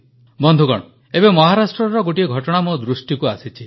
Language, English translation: Odia, Recently, one incident in Maharashtra caught my attention